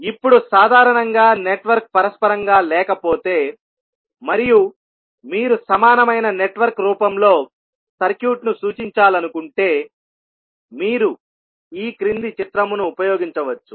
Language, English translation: Telugu, Now, in general if the network is not reciprocal and you want to represent the circuit in equivalent in the form of equivalent network you can use the following figure